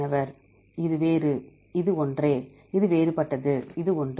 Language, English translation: Tamil, This is different, this is same, this is different this is same